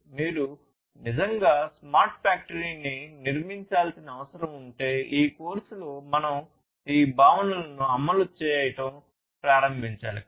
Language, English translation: Telugu, And if you really need to build a smart factory basically you have to start implementing these concepts that we are going through in this course